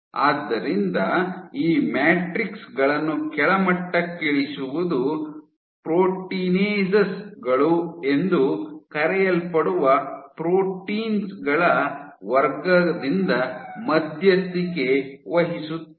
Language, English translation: Kannada, So, the degrading these matrixes, some of the most, so you have these degrading matrices are mediated by class of proteins called proteinases